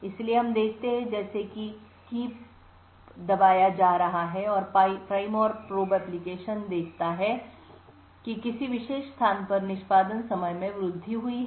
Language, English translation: Hindi, So, we see that as keys are being pressed what the prime and probe application sees is that there is an increase in execution time during a particular place